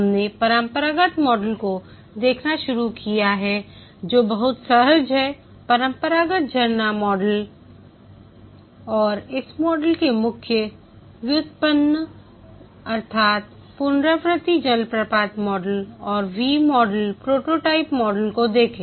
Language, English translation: Hindi, We had started looking at the classical model which is very intuitive, the classical waterfall model and the derivatives of this model, namely the iterative waterfall model, looked at the V model, prototyping model, and so on